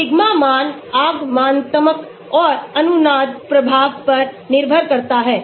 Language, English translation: Hindi, sigma value depends on inductive and resonance effects